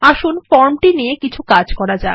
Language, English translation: Bengali, Let us Work with the form first